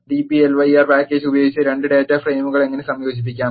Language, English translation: Malayalam, And how to combine 2 data frames using the dplyr package